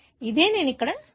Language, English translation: Telugu, This is what I have shown here